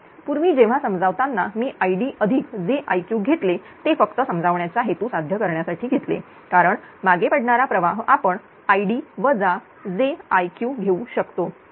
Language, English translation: Marathi, Previously while explaining I took id id plus j I q that is for simply that is such just for purpose of understanding because of the lagging current we can take id minus j I q right